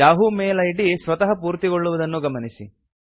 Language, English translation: Kannada, Notice that the yahoo mail id is automatically filled